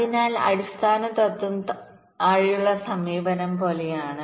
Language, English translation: Malayalam, so the principle is the same as in the bottom up thing